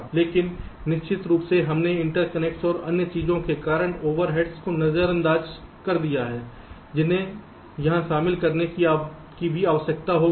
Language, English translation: Hindi, but of course we have ignored the overheads due to interconnections and other things that will also need to be incorporated here